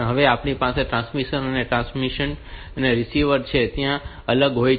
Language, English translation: Gujarati, So, we have transmitting and the transmission and receiving where so they are separate